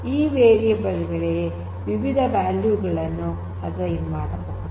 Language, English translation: Kannada, So, these variables they could be assigned different values